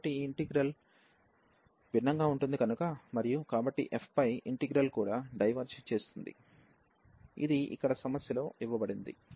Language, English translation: Telugu, So, this integral will diverge and so the integral over f will also diverge, which is given here in the problem